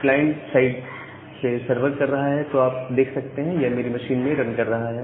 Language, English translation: Hindi, So, once the server is running there from the client side, we can give so the server is running in my machine